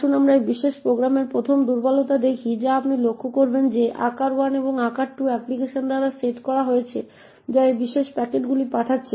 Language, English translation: Bengali, Let us see the vulnerability in this particular program 1st vulnerability you would notice is that size 1 and size 2 are set by the application which is sending these particular packets